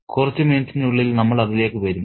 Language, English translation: Malayalam, We'll come to that in a minute